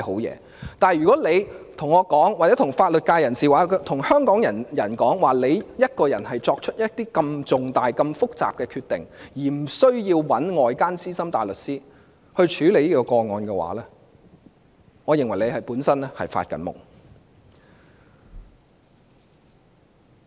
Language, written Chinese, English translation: Cantonese, 然而，如果她對我或法律界人士或香港人說，她可以獨自作出如此重大、複雜的決定，不需要委託外間資深大律師處理這宗個案的話，我認為她本身是在做夢。, However if she says to me or members of the legal profession or Hong Kong people that she can make this important and complex decision alone without the need of instructing an outside Senior Counsel to handle the case I think she is dreaming